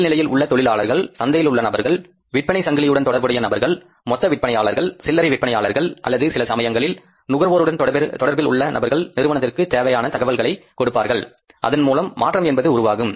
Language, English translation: Tamil, So, people are the lowest level, people who are in the market who are connected to the channels of distribution, who are connected to the wholesalers, retailers or maybe the customers sometimes, they will help the company to grab the information and to effect the changes